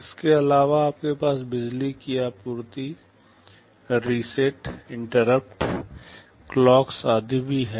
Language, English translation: Hindi, In addition you have power supply, reset, interrupts, clocks etc